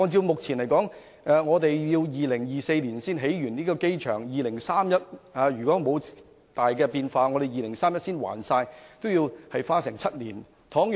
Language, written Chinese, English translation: Cantonese, 按目前的估計 ，2024 年才能完成擴建機場工程，如果沒有太大變化 ，2031 年才能清還欠款，要花7年時間。, At present the airport expansion works is estimated to complete by 2024 . Without drastic changes the debt will be paid off by 2031 seven years after the completion of the works